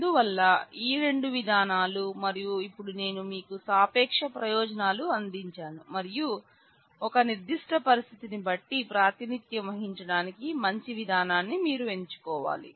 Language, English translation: Telugu, So, these are two methods and now we have just given you the relative advantages and its advantages of the same and based on a particular situation you will have to choose what is a good method to represent